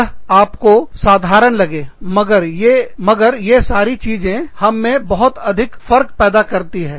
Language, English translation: Hindi, They may seem very mundane, but these things make, so much of a difference, to us